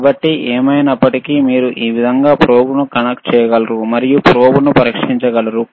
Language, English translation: Telugu, So, so anyway, this is how you can connect the probe and test the probe, all right